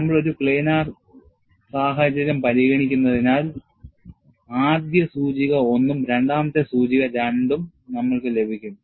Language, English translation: Malayalam, Since we are considering a planar situation, you will have the first index 1 and second index as 2